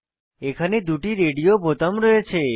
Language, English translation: Bengali, Here we have two radio buttons